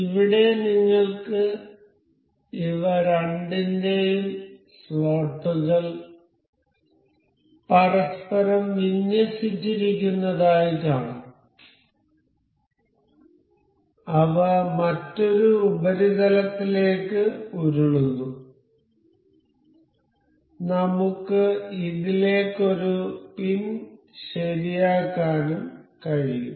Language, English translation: Malayalam, So, here you can see the slots of both of these are aligned to each other and they roll over other surface, we can also fix a pin into this